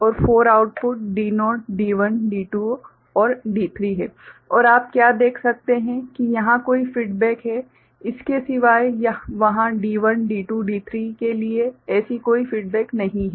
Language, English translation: Hindi, And, there are 4 outputs D naught D1, D2, D3 and what you can see except for this one where there is a feedback there is no such feedback for D1, D2, D3